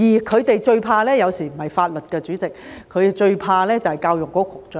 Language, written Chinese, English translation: Cantonese, 他們最怕的，有時候不是法律，代理主席，他們最怕的就是教育局局長。, Sometimes what these people are most afraid of is not the law Deputy President but is the Secretary for Education